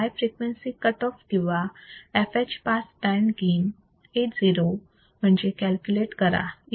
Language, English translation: Marathi, Calculate the high frequency cut off or fh in a pass band gain Ao